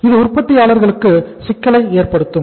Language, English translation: Tamil, It will create the problem for the manufacturer also